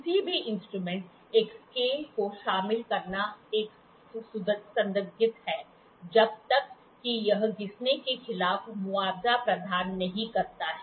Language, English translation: Hindi, Any instrument, incorporating a scale is a suspect unless it provides compensation against wear